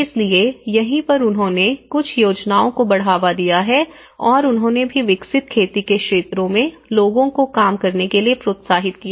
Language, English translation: Hindi, So, that is where they have also promoted certain schemes and they also developed and encouraged the people to work on the possible cultivated areas